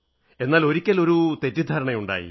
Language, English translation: Malayalam, But yes once a misunderstanding crept up